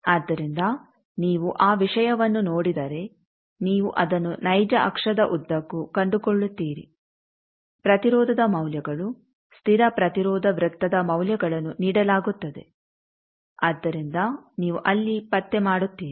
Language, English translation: Kannada, So, if you see that thing you locate that along the real axis the values of the resistance is constant resistance circle values are given so there you locate